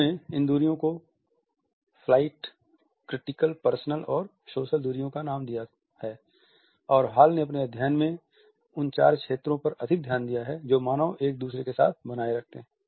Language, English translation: Hindi, He has named these distances as flight, critical, personal and social distances and Hall had drawn a lot in his study on the four zones which human beings maintained with each other